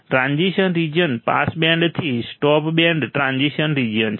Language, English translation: Gujarati, Transition region is from pass band to stop band transition region